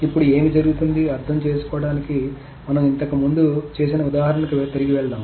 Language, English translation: Telugu, Now let us just go back to the example that we did earlier to understand what is being happening